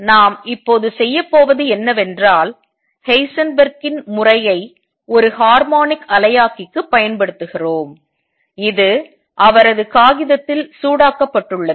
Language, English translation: Tamil, What we are going to do now is apply Heisenberg’s method to a harmonic oscillator which also heated in his paper